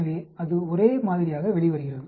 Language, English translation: Tamil, So, it comes out to be the same